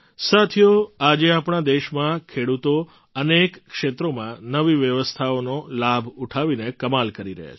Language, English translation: Gujarati, Friends, today the farmers of our country are doing wonders in many areas by taking advantage of the new arrangements